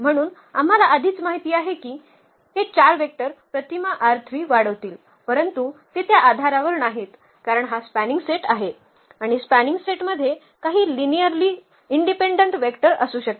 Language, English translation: Marathi, So, we already know that these 4 vectors will span image R 3, but they are they are not the basis because this is this is the spanning set, and spanning set may have some linearly dependent vectors